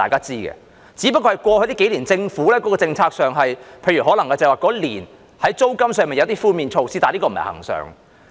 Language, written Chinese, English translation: Cantonese, 只不過在過去數年，政府在政策上，在某年推出租金寬免措施，但這並不是恆常。, It is only that the Government introduced rent waivers in a year over the past few years but this is not a permanent measure